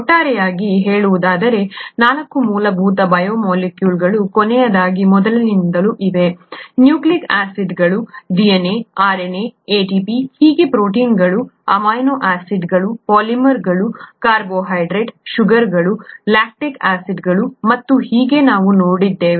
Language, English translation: Kannada, So to sum up, there are 4 fundamental biomolecules last, from last to the earliest, nucleic acids, DNA, RNA, ATP and so on, proteins, polymers of amino acids, carbohydrates, sugars, lactic acid and so on that we have seen and lipids which are membrane components, oil, butter and so on, right